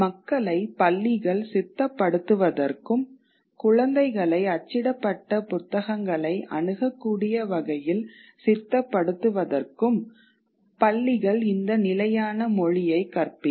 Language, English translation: Tamil, The schools would be teaching this standard language to equip people, equip their children, to be able to access the books which are being printed